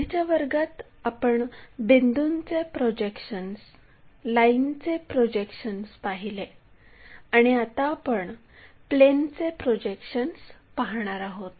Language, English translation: Marathi, Earlier classes we try to look at projection of points, prediction of lines and now we are going to look at projection of planes